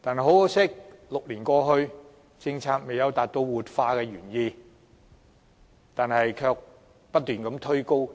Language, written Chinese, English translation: Cantonese, 可惜 ，6 年過去，政策未能達到活化工廈的原意，反而令租金不斷被推高。, Yet six years have gone instead of achieving the objective of revitalizing industrial buildings the revitalization policy had contributed to the pushing up of rental levels